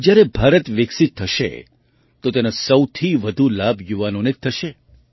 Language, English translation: Gujarati, When India turns developed, the youth will benefit the most